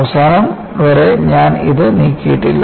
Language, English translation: Malayalam, Ihave not extended it till the end